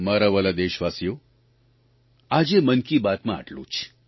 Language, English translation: Gujarati, My dear countrymen, this is all that this episode of 'Mann Ki Baat' has in store for you today